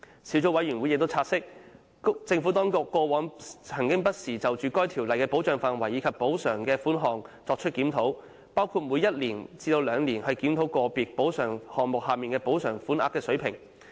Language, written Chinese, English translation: Cantonese, 小組委員會亦察悉，政府當局過往曾不時就《條例》的保障範圍及補償款額作出檢討，包括每一至兩年檢討個別補償項目下的補償款額水平。, The Subcommittee has also noted that in the past the Administration would from time to time review the coverage of PMCO and the compensation amounts including reviewing the level of compensation under individual compensation items every one or two years